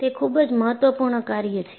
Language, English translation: Gujarati, So, that is very important